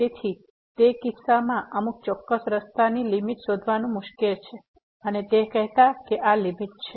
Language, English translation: Gujarati, So, in that case it is difficult to find a limit along some particular path and saying that this is the limit